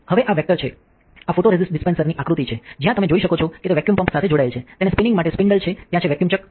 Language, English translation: Gujarati, Now, this is the vector this is the schematic of the photoresist dispenser, where you can see that is it is connected to a vacuum pump, there is a spindle for spinning it there is a vacuum chuck